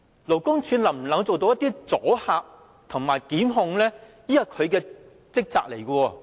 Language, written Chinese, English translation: Cantonese, 勞工處能否發揮阻嚇及檢控的功能呢？, Can LD serve its function of acting as a deterrent and instituting prosecutions?